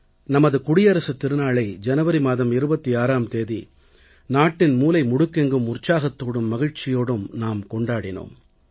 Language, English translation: Tamil, 26th January, our Republic Day was celebrated with joy and enthusiasm in every nook and corner of the nation by all of us